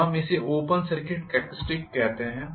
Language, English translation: Hindi, So, we call this as open circuit characteristics